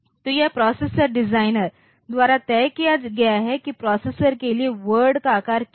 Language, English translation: Hindi, So, this is fixed by the processor designer what is the word size for the processor